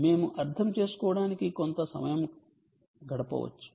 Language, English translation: Telugu, we can spend some time understanding